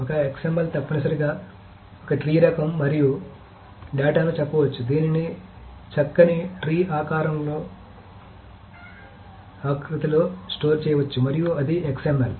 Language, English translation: Telugu, And the data can be said that, okay, it can be stored in a nice tree kind of format and that is the XML